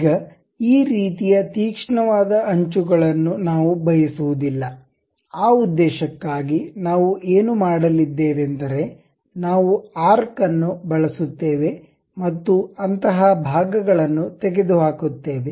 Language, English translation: Kannada, Now, we do not want this kind of sharp edges; for that purpose what we are going to do is, we use something like a arc and remove those portions